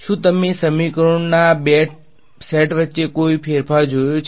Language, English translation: Gujarati, Do you notice any other change between these two sets of equations